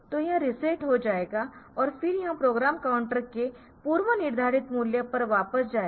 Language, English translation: Hindi, So, it will be reset and then it will be going back to a predefined value of the program counter